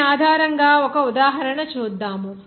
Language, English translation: Telugu, Let us do an example based on this